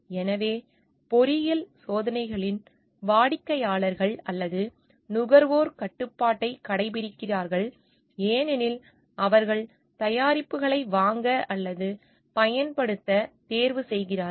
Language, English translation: Tamil, So, in engineering experiments clients or consumers exercise control because it is they who choose to buy or to use the products